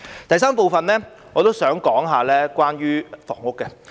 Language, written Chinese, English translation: Cantonese, 在第三部分，我想談談房屋。, In the third part of my speech I would like to talk about housing